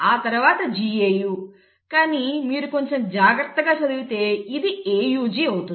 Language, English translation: Telugu, Then you have GAU, but then if you read a little carefully this becomes AUG